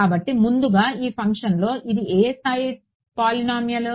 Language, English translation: Telugu, So, first of all this function over here what degree of polynomial is it